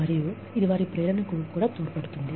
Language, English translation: Telugu, And, it also adds to their motivation